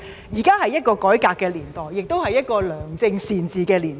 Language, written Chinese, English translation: Cantonese, 現在是一個改革的年代，亦是一個良政善治的年代。, This is an age of reform and an age of good governance now